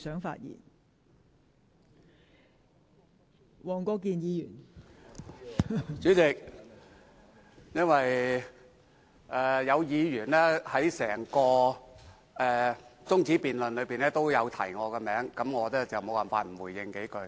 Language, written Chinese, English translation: Cantonese, 代理主席，因為有議員在整項中止待續議案的辯論中提及我的名字，我無法不回應幾句。, Deputy President as some Members mentioned my name in the debate on the adjournment motion I have no choice but to respond briefly